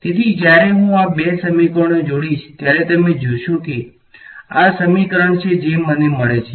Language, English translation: Gujarati, So, when I combine these two equations you will see this is the equation that I get ok